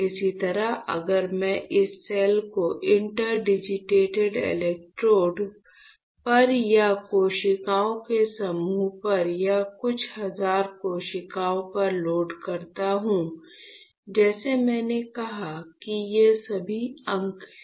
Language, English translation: Hindi, Same way if I load this cell on or group of cells or a few thousand cells on the interdigitated electrodes; like I said these are all digits, this is digits, interdigit right